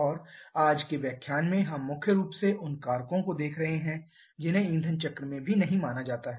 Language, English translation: Hindi, And in today's lecture we shall be looking primarily to those factors which are not considered in fuel air cycle as well